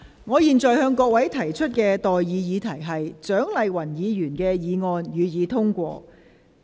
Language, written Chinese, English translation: Cantonese, 我現在向各位提出的待議議題是：蔣麗芸議員動議的議案，予以通過。, I now propose the question to you and that is That the motion moved by Dr CHIANG Lai - wan be passed